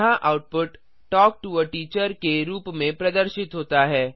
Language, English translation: Hindi, Here the output is displayed as Talk To a Teacher